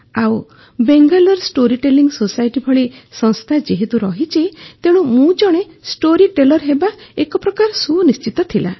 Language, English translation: Odia, And then, there is this organization like Bangalore Storytelling Society, so I had to be a storyteller